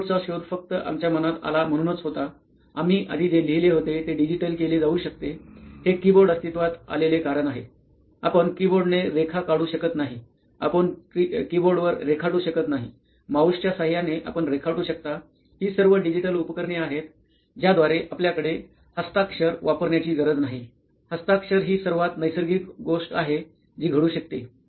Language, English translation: Marathi, the keyboard was invented just because what we had in mind, whatever we had written down at an earlier point that could be digitised, that was the reason why keyboard came into existence, it was not because you could draw line with the keyboard, no you cannot draw line with the keyboard, it is with the mouse that you can draw a line, these are all digital devices through which you have you do not have to use handwriting, handwriting is the most natural thing that can happen